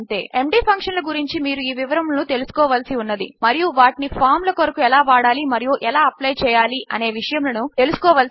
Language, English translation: Telugu, Thats all you really need to know now on MD functions and how to use them and how to apply them to your forms